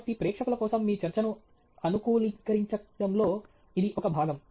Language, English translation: Telugu, So, this is a part of the customization of your talk for the audience